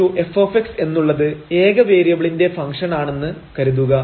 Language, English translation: Malayalam, So, suppose the function y is equal to f x is differentiable